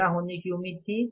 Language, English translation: Hindi, What should have been the cost